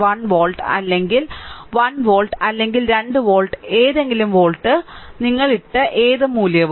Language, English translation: Malayalam, 1 volt or 1 volt or 2 volt any volt, any value you put it right